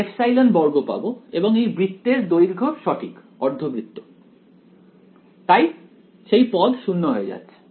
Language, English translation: Bengali, I will get epsilon squared and the length of the circle right semicircle, so, that go to going to 0